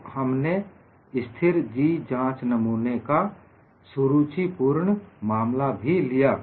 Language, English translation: Hindi, So, we saw the interesting case of constant G specimen